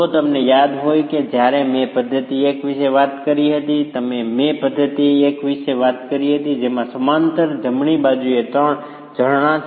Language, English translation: Gujarati, If you remember when I talked about method one, I talked about method one being three springs in parallel